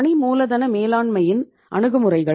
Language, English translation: Tamil, Approaches of the working capital management